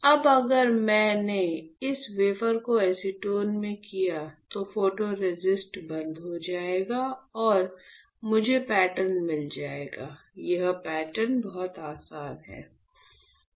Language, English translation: Hindi, If I did this wafer in acetone, then photoresist will strip off and I will get the pattern and this pattern is this pattern ok, this much is easy